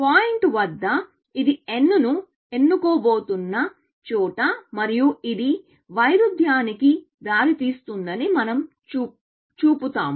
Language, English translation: Telugu, At the point, where it is about to pick n and we will show that this leads to a contradiction